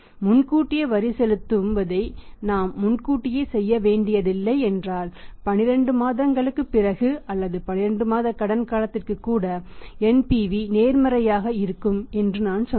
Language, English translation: Tamil, If we have to not to make the payment in advance tax payment in advance then as I told you that even after 12 months or even on the 12 months credit period the NPV will be positive